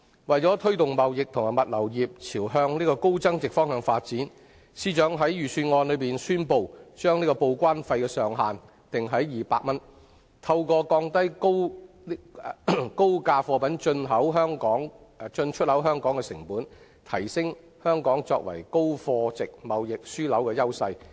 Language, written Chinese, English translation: Cantonese, 為了推動貿易及物流業朝向高增值發展，司長在財政預算案中宣布，將報關費的上限定於200元，藉以透過降低高價貨品進出口香港的成本，提升香港作為高貨值貿易樞紐的優勢。, To encourage the trading and logistics industry to move up the value chain the Financial Secretary has announced in the Budget that the charge for each declaration will be capped at 200 so as to enhance Hong Kongs advantage as a high - value trading hub by lowering the cost of importing and exporting high - value goods to and from Hong Kong